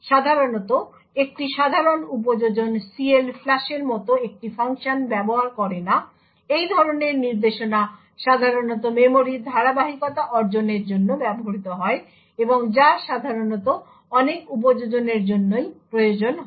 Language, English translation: Bengali, As such, a typical application does not use a function like CLFLUSH, such an instruction is typically used to achieve memory consistency and which is not typically needed by many applications